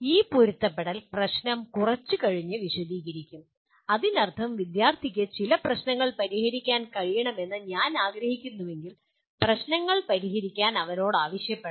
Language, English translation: Malayalam, This alignment issue will be elaborating a little later that means if I want the student to be able to solve certain problems assessment should also ask him to solve problems